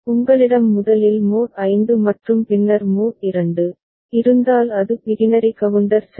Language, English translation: Tamil, If you have mod 5 first and then mod 2 then it is Biquinary counter ok